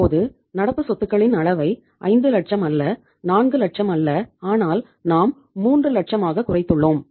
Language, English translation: Tamil, Now we have reduced the level of current assets not 5 lakhs not 4 lakhs but we have come down to 3 lakhs